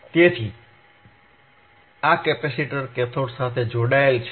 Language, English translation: Gujarati, So, this capacitor is connected to the cathode is connected to the cathode